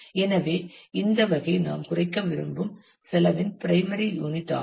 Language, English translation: Tamil, So, this kind of becomes the primary unit of cost that we want to minimize